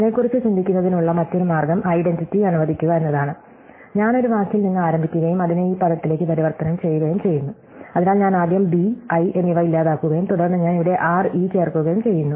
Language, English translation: Malayalam, The other way of thinking about it is let identity, I start with one word and I am transforming it to this word, so I first delete the b and i and then I insert here the r e